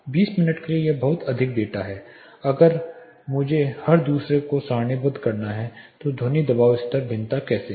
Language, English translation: Hindi, For the 20 minutes there is a lot of data, so if I have to tabulate every second how is the sound pressure level variation